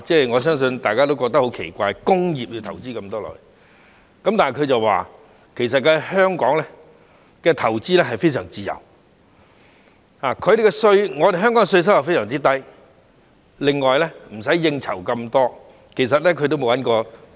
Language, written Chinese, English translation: Cantonese, 我相信大家也會覺得很奇怪，他竟然會在工業投資這麼多，但他說在香港投資非常自由，而且稅收非常低，亦無需應酬這麼多。, I believe all of us will find it very strange that he would invest so much in industries but he said that making investments in Hong Kong is free with very low taxes and fewer social functions are required